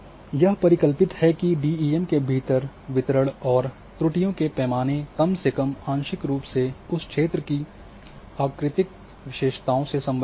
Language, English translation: Hindi, So, it is hypothesized that the distribution and the scale of errors within a DEM are at least partly related to morphometric characteristics of the terrain